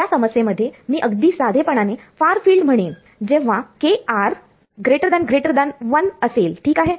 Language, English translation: Marathi, In this problem very naively I am going to say far field is when kr is much much greater than 1 ok